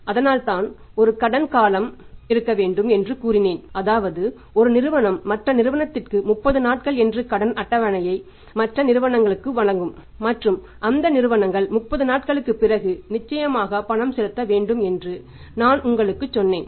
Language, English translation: Tamil, That is why I told you sometime back that if there is a credit period someone firm has given the credit table of 30 days to the other firm and other firm has to make the payment certainly after 30 days